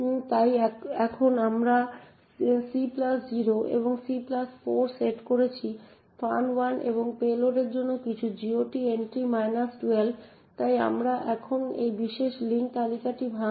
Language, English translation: Bengali, So now we are setting *(c+0) and *(c+4) to some GOT entry minus 12 for function 1 and payload, so therefore we are now breaking this particular link list